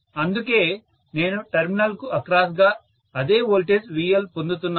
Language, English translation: Telugu, That is why, I am getting the same voltage VL across the terminal